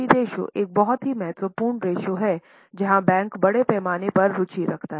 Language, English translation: Hindi, So, debt equity ratio is a very important ratio where the bankers are extensively interested